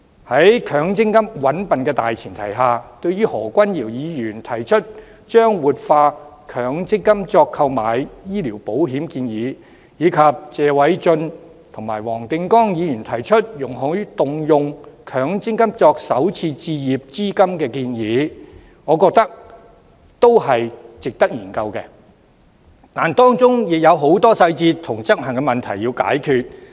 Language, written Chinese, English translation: Cantonese, 在強積金"搵笨"的大前提下，對於何君堯議員提出以強積金購買醫療保險的建議，以及謝偉俊議員與黃定光議員提出，容許動用強積金作首次置業資金的建議，我認為是值得研究的，但當中也有很多細節和執行問題需要解決。, On the premise that the MPF is dupery the proposal of using MPF to take out medical insurance put forth by Dr Junius HO and the proposals of allowing scheme members to use MPF to pay the down payment of first home purchase put forth by Mr Paul TSE and Mr WONG Ting - kwong are worthy of consideration . Nevertheless a lot of details and issues concerning implementation need to be resolved